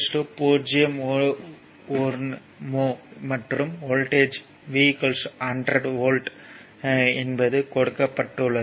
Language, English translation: Tamil, 1 mho, and voltage is 100 volt